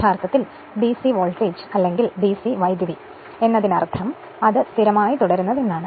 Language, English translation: Malayalam, Actually DC voltage or DC current means suppose it is remains constant